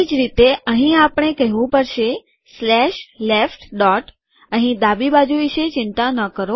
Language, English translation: Gujarati, Similarly , here we have to say slash left dot, dont worry about the left here